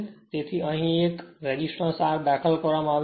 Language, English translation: Gujarati, That because, we have inserted that resistance R